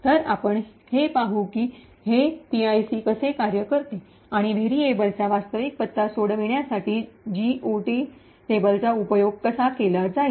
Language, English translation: Marathi, So, we will see how this PIC works and how, the GOT table is used to resolve the actual address of a variable